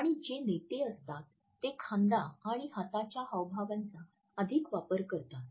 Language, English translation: Marathi, And those who were leaders tended to use more shoulder and arm gestures